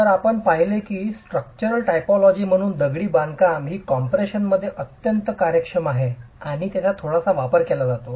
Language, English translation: Marathi, So, we saw that as a structural typology, masonry is one that is efficient under compression and that is utilized quite a bit